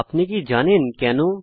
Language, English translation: Bengali, Do you know why